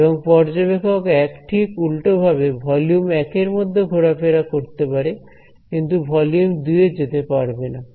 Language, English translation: Bengali, And observer 1 over here vice versa can walk in volume 1, but cannot crossover into volume 2